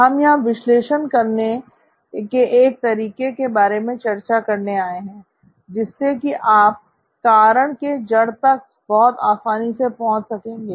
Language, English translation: Hindi, We're here to discuss an analysis tool that will help you figure out a root cause quite easily